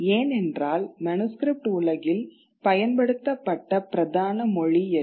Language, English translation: Tamil, Because in the manuscript world, what was the principal language that was being used